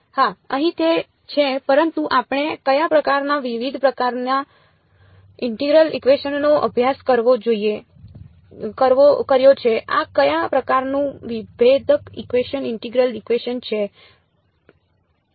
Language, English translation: Gujarati, Yes here it is, but which kind we have studied different kinds of integral equations what kind of differential equation integral equation is this